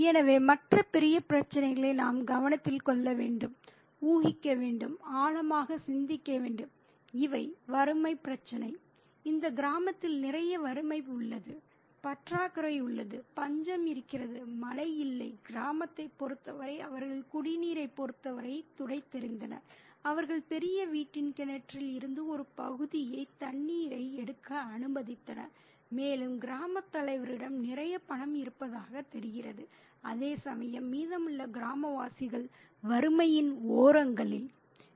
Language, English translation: Tamil, The issue of poverty, there is a lot of poverty in this village, there is scarcity, there is famine, there is no rain for the village, and they just scraped by in terms of drinking water, they are allowed to take a port of water from the well of the great house, and the village headman seems to have a lot of money, whereas the rest of the villages seem to be on the margins of poverty